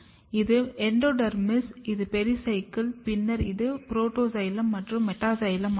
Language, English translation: Tamil, Here you have endodermis, you have Pericycle, then you have Protoxylem and Metaxylem